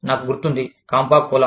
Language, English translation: Telugu, I remember, Campa Cola